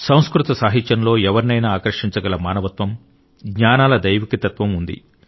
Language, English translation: Telugu, Sanskrit literature comprises the divine philosophy of humanity and knowledge which can captivate anyone's attention